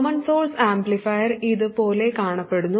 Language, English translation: Malayalam, The common source amplifier looks like this